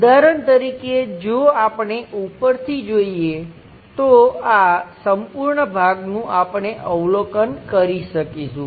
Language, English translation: Gujarati, For example, if we are looking from top view, this entire part we will be in a position to observe